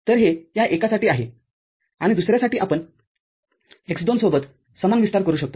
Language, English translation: Marathi, So, this is for this one and for the other one we can have a similar expansion with x2